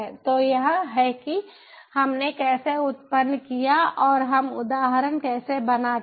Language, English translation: Hindi, so this is how we generated and how we create the instance